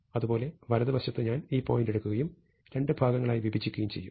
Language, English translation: Malayalam, And similarly on the right, I will have to take this point, and divide it into two parts